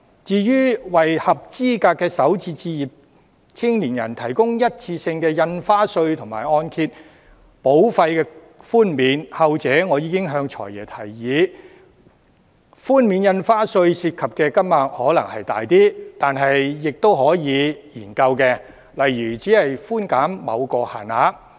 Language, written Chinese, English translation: Cantonese, 至於為合資格的首次置業青年人提供一次性印花稅和按揭保費寬免，後者我已向"財爺"建議，雖然涉及寬免印花稅的款額可能稍多，但仍可以研究，例如把寬減限於某個數額。, Regarding his proposal to grant one - off stamp duty relief and premium waiver of the Mortgage Insurance Programme for young people who meet the qualifying requirement of starter homes I have already put forward his latter proposal to the Financial Secretary . Despite the relatively large amount of stamp duty to be exempted this proposal can still be studied such as putting a cap on the amount of concession